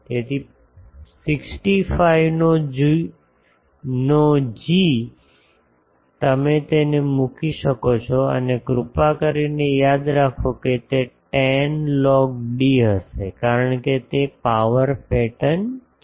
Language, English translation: Gujarati, So, g of 65 you can put it and please remember here it will be 10 log d because it is a power pattern